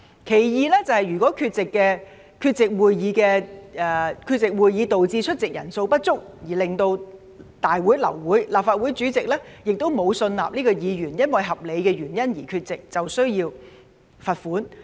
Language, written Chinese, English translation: Cantonese, 其二，如果議員缺席會議導致出席人數不足，令大會流會，而立法會主席也沒有信納這名議員因合理原因缺席，便需要罰款。, Second if a Member is absent from a Council meeting aborted due to a lack of quorum and the President of the Legislative Council is not satisfied that this Member is absent for valid reasons a fine shall then be imposed